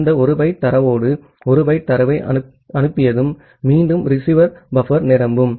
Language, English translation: Tamil, And once it sends 1 byte of data with that 1 byte of data again the receiver buffer becomes full